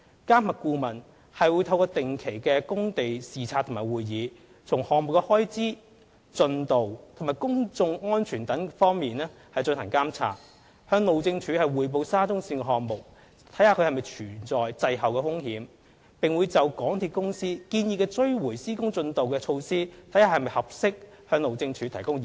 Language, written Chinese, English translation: Cantonese, 監核顧問會透過定期工地視察及會議，從項目開支、進度及公眾安全等方面進行監察，向路政署匯報沙中線項目是否存在滯後的風險，並會就港鐵公司建議的追回施工進度措施是否合適，向路政署提供意見。, The MV consultant will monitor the expenditure progress and public safety of the works through regular site inspections and meetings and report to HyD on whether there are risks of slippage in the progress of the SCL project and advise on the appropriateness of the delay recovery measures proposed by MTRCL